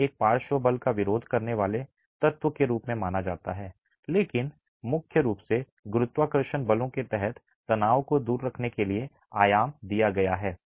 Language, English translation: Hindi, It is conceived as a lateral force resisting element but predominantly under gravity forces dimensioned to keep tension out